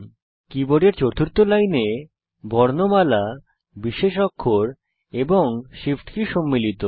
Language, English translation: Bengali, The fourth line of the keyboard comprises alphabets, special characters, and shift keys